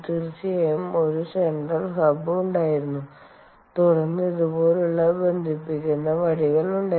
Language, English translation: Malayalam, there was, of course, a central hub and then there were connecting rods like this